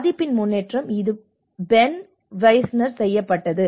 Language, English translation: Tamil, The progression of vulnerability, this is by Ben Wisner